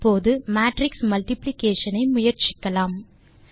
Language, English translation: Tamil, Now let us see an example for matrix multiplication